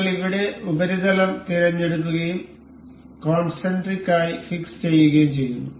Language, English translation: Malayalam, We will select the surface here and it fixes as concentric